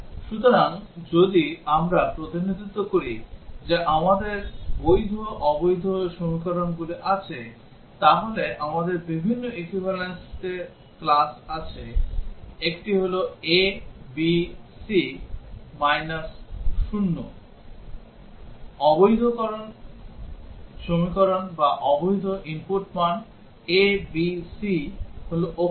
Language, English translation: Bengali, So, if we represent that we have the valid equations invalid equations so we have different equivalence classes, one is that a, b, c 0 invalid equation or invalid input values; a b c are characters